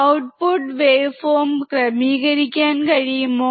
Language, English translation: Malayalam, Can you please adjust the output wave form